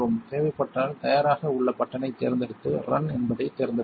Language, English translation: Tamil, If necessary select the ready button and then select run